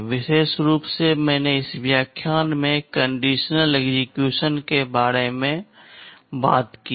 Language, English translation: Hindi, In particular I have talked about the conditional execution in this lecture